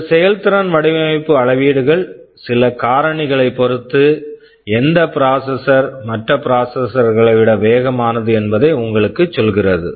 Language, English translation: Tamil, This performance design metrics tell you that which processor is faster than the other in some respect